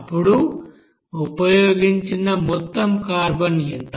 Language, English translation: Telugu, Then what will be the total carbon used